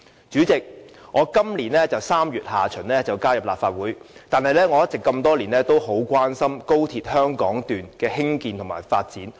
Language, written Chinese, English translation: Cantonese, 主席，我在今年3月下旬加入立法會，但多年來一直很關心高鐵香港段的興建和發展。, President even though I only joined the Legislative Council in late March this year I have paid very close attention to the construction and development of the XRL Hong Kong Section all these years